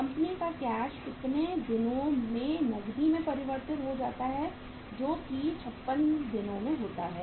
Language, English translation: Hindi, Company’s cash is converted into cash in how many days that is 56 days